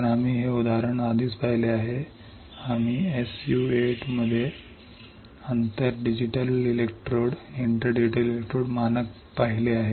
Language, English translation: Marathi, So, we have already seen this example we have seen inter digital electrode standard in S U 8 well